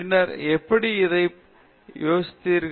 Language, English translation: Tamil, And then how, how do you test it